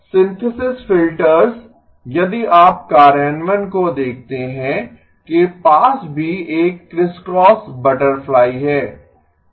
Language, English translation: Hindi, The synthesis filters if you look at the implementation also have a crisscross butterfly